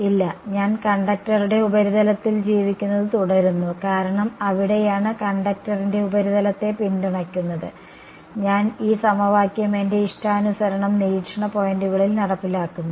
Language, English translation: Malayalam, No, the I continues to live on the surface of the conductor because that is where it is that is its support the surface of the conductor right, I am enforcing this equation at the observation points which is my choice